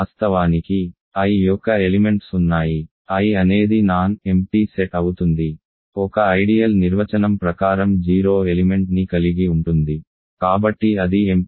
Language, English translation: Telugu, Of course, there are elements of I, I is a non empty set right, an ideal is by definition going to contain the 0 element so it is non empty